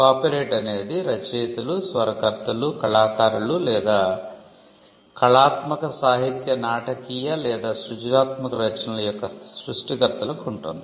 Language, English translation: Telugu, Copyright can vest on the authors, composers, artists or creators of artistic literary, dramatic or any form of creative work